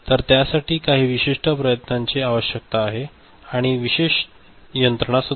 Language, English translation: Marathi, So, it requires some special efforts, special mechanism right